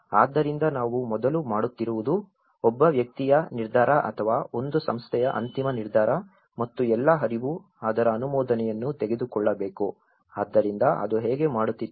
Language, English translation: Kannada, So that what we do is earlier it was all one man’s decision and one body’s decision or one organization’s final decision and all the flow has to take an approval of that so that is how it used to do